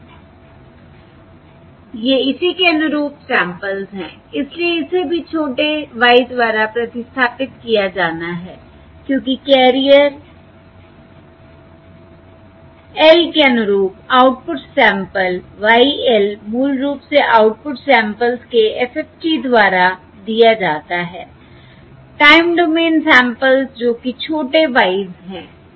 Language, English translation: Hindi, so this is also has to be replaced by small y, because the output sample y of L, corresponding to the carrier L, is given basically by FFT of the output samples, time domain samples, which are the small ys